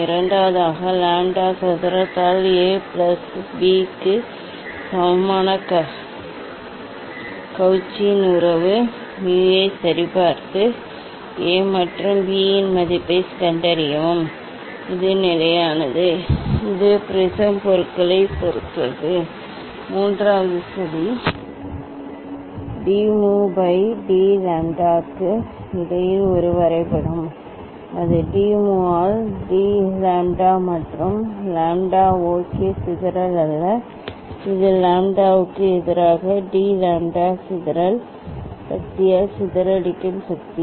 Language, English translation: Tamil, Then second, verify Cauchy s relation mu equal to A plus B by lambda square, and find the value of the of A and B, this is the constant, it depends on the prism materials, Third plot a graph between d mu by d lambda that dispersion d mu by d lambda versus the lambda ok; not dispersion, this is the dispersive power d mu by d lambda dispersive power versus the lambda